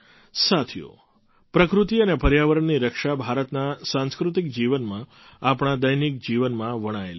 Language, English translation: Gujarati, Friends, the protection of nature and environment is embedded in the cultural life of India, in our daily lives